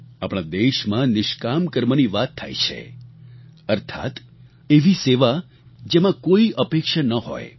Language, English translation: Gujarati, In our country we refer to 'NishKaam Karma', selfless deeds, meaning a service done without any expectations